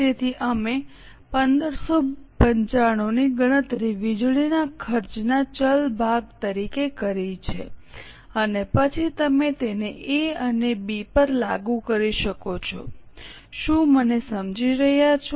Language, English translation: Gujarati, So, we have calculated 1595 as a variable portion of power cost and then you can apply it to A and B